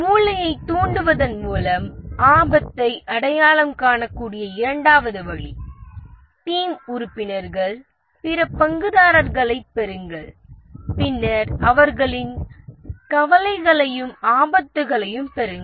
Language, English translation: Tamil, The second way the risk can be identified is by brainstorming, get the team members, other stakeholders, and then get their concerns and those are the risks